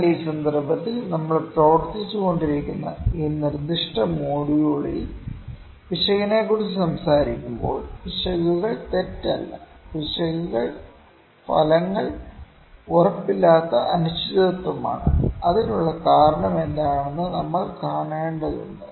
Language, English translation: Malayalam, But in this context in this specific module in which we were working, when we will talk about error, the errors are not mistakes, errors is just uncertainty that the results are not certain and we just need to see what is the reason for that